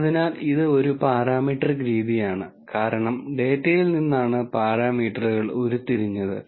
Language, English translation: Malayalam, So, this is a parametric method, because parameters have been derived from the data